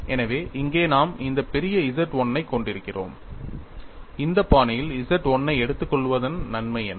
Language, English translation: Tamil, So, here we are having this capital Z 1 and what is the advantage by taking Z 1 in this fashion